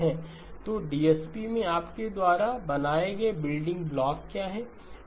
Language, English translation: Hindi, So what are the building blocks that you have encountered in DSP